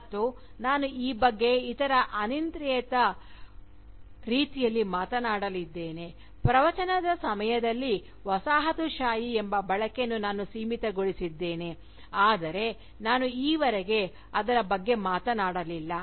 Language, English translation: Kannada, And, I am going to talk about this, other arbitrary way in which, I have limited the use of the term Colonialism during Discourse, but I have not spoken about it, so far